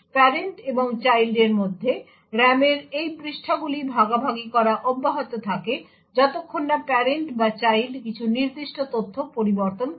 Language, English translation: Bengali, These pages in the RAM between the parent and the child continue to be shared until either the parent or the child modifies some particular data